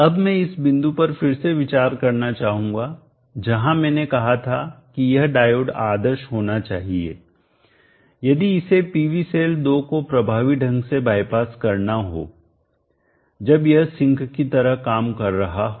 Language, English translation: Hindi, I would now like to revisit this point where I said that this diode should be ideal, if it has to effectively by pass the PV cell 2 when it is acting like a sink